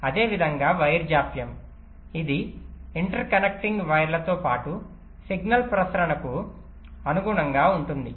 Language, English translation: Telugu, similarly, wire delays, which correspond to the signal propagation along the interconnecting wires